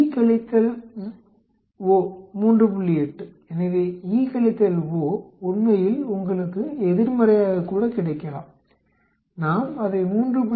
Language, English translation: Tamil, 8, so E minus O actually you may get is as negative, it does not matter we put it as 3